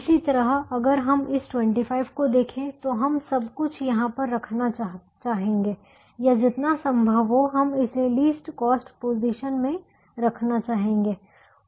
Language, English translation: Hindi, similarly, if we look at this twenty five, we would like to put everything here in this, or we would like to put as much as we can in the least cost position